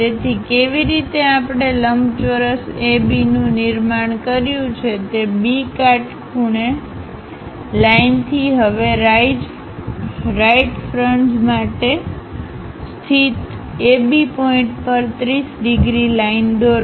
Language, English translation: Gujarati, So, the way how we have constructed rectangle AB, draw a 30 degrees line on that locate AB points for the right face now from B perpendicular line